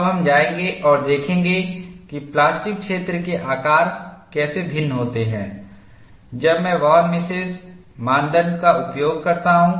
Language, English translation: Hindi, Now, we will go and see how the plastic zone shapes differ, when I use the Von Mises criteria and this is for mode 1 situation